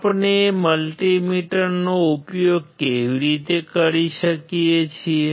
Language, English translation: Gujarati, How we can use multi meter